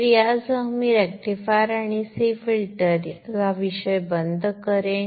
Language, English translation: Marathi, So with this I will close this topic of rectifier and C filter